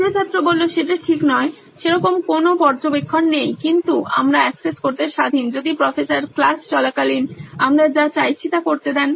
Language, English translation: Bengali, Not really, there is no such monitoring but we are free to access whatever we want during class if Professor asks